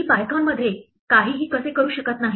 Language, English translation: Marathi, How do I do nothing in Python